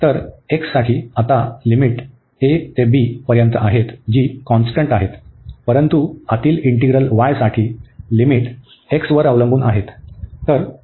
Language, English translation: Marathi, So, for the x limits are constant here a to b, but for the inter inner integral y the limits were depending on x